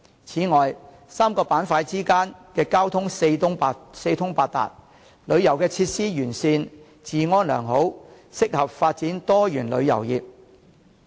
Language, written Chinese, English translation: Cantonese, 此外 ，3 個板塊之間的交通四通八達、旅遊設施完善、治安良好，適合發展多元旅遊業。, Moreover the three places have good transportation linkage comprehensive tourist facilities and good public order which are suitable for developing diversified tourism